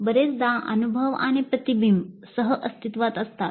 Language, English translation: Marathi, Often experience and reflection coexist